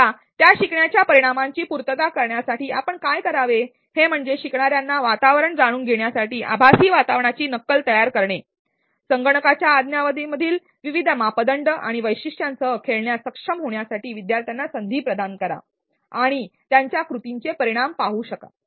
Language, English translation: Marathi, Now, to meet that learning outcome what you should do is to create simulations of virtual environment for learners to know the environment, provide opportunities for learners to be able to play with the different parameters and features inside the software and also be able to see the results of their actions